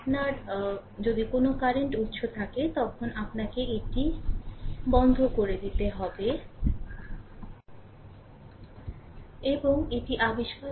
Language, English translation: Bengali, If you have a current source, you have to open it that is turned off and find out what is R Thevenin, right